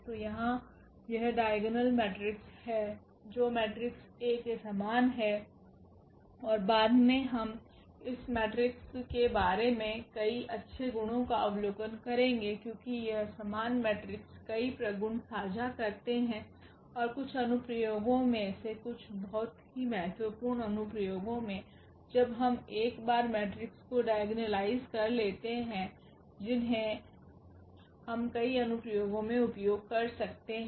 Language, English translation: Hindi, So, that is the diagonal matrix here which is similar to the matrix A and later on we will observe several good properties about this matrix because they share many common properties these similar matrices and some of the applications very important applications one we can once we can diagonalize the matrix we can we can use them in many applications